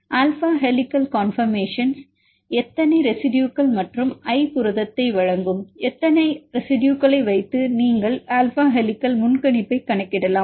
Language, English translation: Tamil, Like for a residues i, how many residues in alpha helical conformation and how many residues that i present the protein